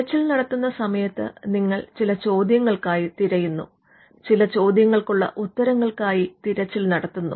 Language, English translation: Malayalam, Now, during the search, you are looking for certain questions, or you are looking for answers to certain questions